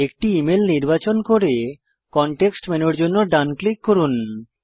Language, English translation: Bengali, Select an email, right click for the context menu Check all the options in it